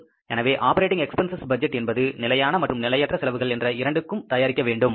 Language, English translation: Tamil, So, operating expenses budget has to be prepared for both fixed and the variable expenses